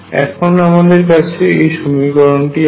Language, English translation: Bengali, Now, once we have this equation